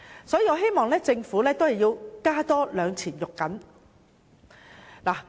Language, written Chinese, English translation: Cantonese, 所以，我希望政府真的要再加一把勁。, Hence I hope the Government would really try harder and do more in this respect